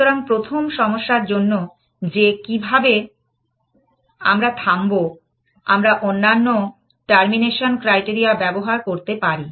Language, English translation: Bengali, So, the first problem of how do we stop, we will say that put some other termination criteria